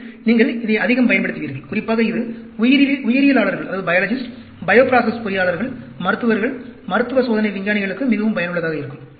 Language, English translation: Tamil, And, you will be making use of it quite a lot, especially, this is very useful for biologists, bio process engineers, clinicians, clinical trial scientists